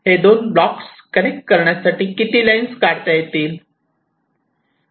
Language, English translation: Marathi, so how many lines connecting this distance between these blocks